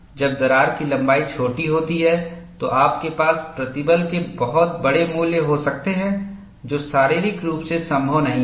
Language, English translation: Hindi, When crack length is small, you can have very large values of stress, which is not possible, physically